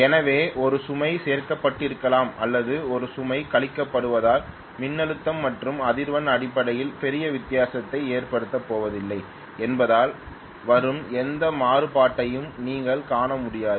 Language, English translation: Tamil, So you would hardly see any variation that is coming up just because may be one load is added or one load is subtracted that is not going to make a big difference in terms of the voltage and frequency